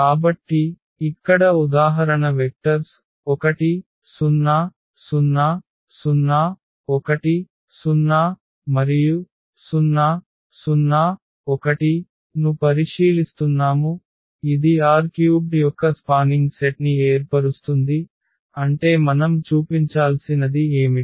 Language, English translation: Telugu, So, the example here we are considering the vectors 1 0 0, 0 1 0 and 0 0 1 this form a spanning set of R 3 meaning what we have to show